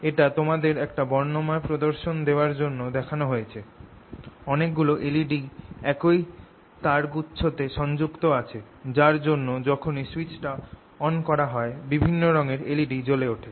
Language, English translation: Bengali, this is just to show you a colorful ah you know demonstration: lot of l e d's connected to the same set of wires and as soon as i turned it on, you will see that the l e d's will light up with different colors